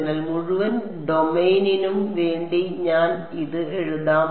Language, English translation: Malayalam, So, I may as well just write it for the entire domain